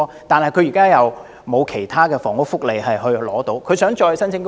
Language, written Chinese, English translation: Cantonese, 然而，他現時未能享有其他房屋福利，又不可能再申請公屋。, At present while he is unable to enjoy other housing benefits he is also ineligible for PRH